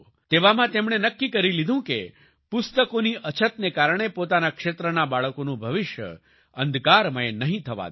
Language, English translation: Gujarati, In such a situation, he decided that, he would not let the future of the children of his region be dark, due to lack of books